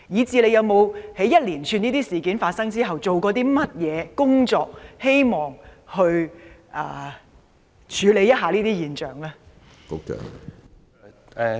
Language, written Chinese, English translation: Cantonese, 在這一連串事件發生後，局方做了甚麼工作處理這些現象？, After a spate of incidents of this kind what has the Bureau done to deal with these phenomena?